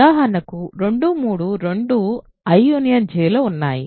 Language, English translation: Telugu, So, for example, 2, 3 are both in I union J right